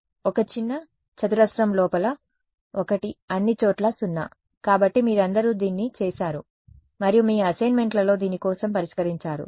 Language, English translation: Telugu, One inside a little square, 0 everywhere else out right; so, you all done this and solved for this your, in your assignments